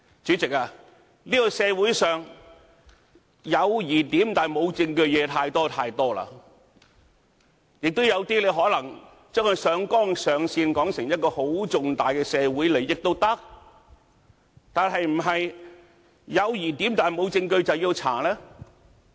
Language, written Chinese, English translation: Cantonese, 主席，這個社會上，有疑點但無證據的事實在太多，亦有些可能將它上綱上線，也可以說成一個很重大的社會利益，但是否"有疑點，無證據"，便要調查呢？, President too many things in this society are dubious but proofless . We can even unduly overplay them as major social interests and that we should investigate although they are dubious but proofless?